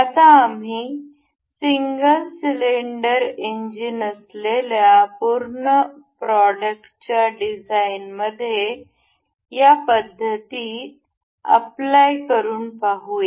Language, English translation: Marathi, Now, we will apply those methods in designing one full product that is single cylinder engine